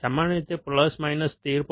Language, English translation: Gujarati, Usually about plus minus 13